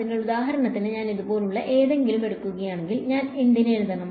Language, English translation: Malayalam, So, for example, does if I take something like this cos of; cos of what do I write